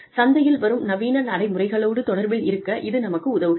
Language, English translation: Tamil, They help us stay in touch, with the market trends